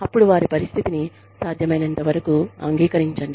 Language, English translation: Telugu, Then, agree, to their situation, to the extent possible